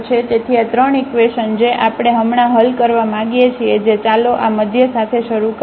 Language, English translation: Gujarati, So, these 3 equations which we want to solve now which let us start with this middle one